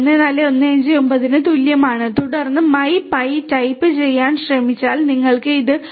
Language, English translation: Malayalam, 14159 and then if you type in type of my pi you get this 14